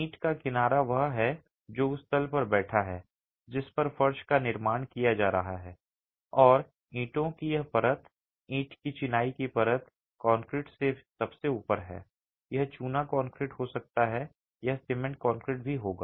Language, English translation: Hindi, The edge of the brick is what is sitting on the plane on which the floor is being constructed and this layer of bricks, the brick masonry layer, is topped by concrete